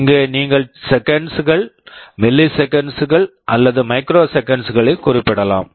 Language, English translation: Tamil, Here also you can specify in seconds, milliseconds or microseconds